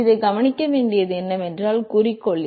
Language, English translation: Tamil, Now, what is also important to note is that the objective